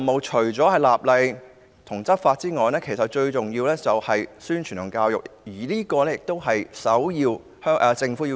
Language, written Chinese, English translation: Cantonese, 除了立法和執法外，最重要的是宣傳教育，這是政府的首要任務。, In addition to legislation and law enforcement publicity and education are extremely important and they should be accorded top priority by the Government